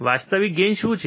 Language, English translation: Gujarati, What is the actual gain